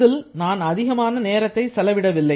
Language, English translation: Tamil, I did not spend too much time on this